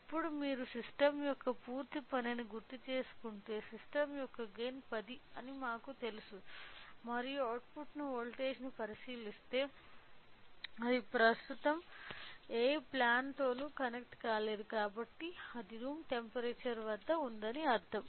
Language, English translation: Telugu, So, now, if you recall the complete working of the system we know that the gain of the system is 10 and by looking in to the output voltage if we understand, since it is not connected to the any plan right now which means that it is at room temperature